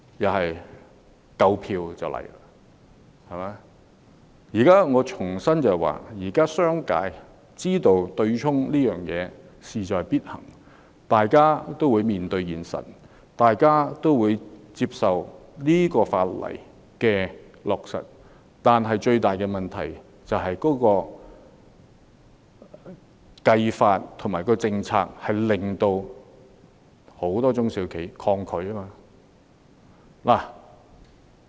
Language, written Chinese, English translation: Cantonese, 我要重申，現時商界知道取消對沖安排是勢在必行，所以會面對現實，接受有關法例的落實，但最大的問題是計算方法及政策令很多中小企抗拒。, I would like to reiterate that fact that the business sector understands that the abolition of the offsetting arrangement is inevitable and they will accept the reality that the relevant legislation will be enacted . Nonetheless the main issue is that the calculation method and the policies concerned have caused resistance among many SMEs